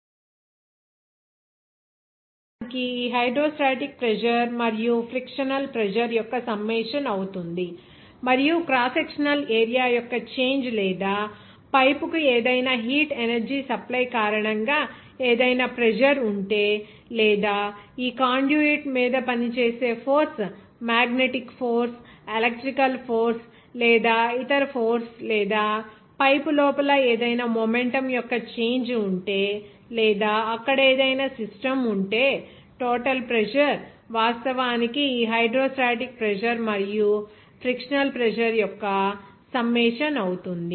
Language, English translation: Telugu, Total pressure will be actually summation of this hydrostatic pressure and frictional pressure and also if is there any pressure because of change of crosssectional area or any heat energy supply to the pipe or any other you know that force acting on this conduit or not, like magnetic force, electrical force, or some other force or if any change of momentum is there inside the pipe or any system there